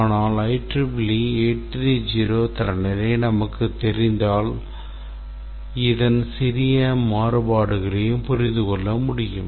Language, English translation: Tamil, if we know the I 380 standard should be able to have small variations of this